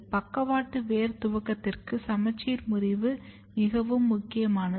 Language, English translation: Tamil, The symmetry breaking is very important for lateral root initiation